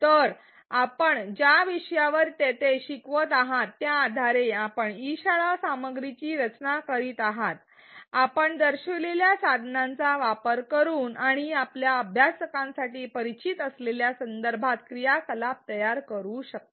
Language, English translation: Marathi, So, based on the topic that you are teaching there for which you are designing e learning content you can create activities using the tools shown and within a context that is familiar for your learners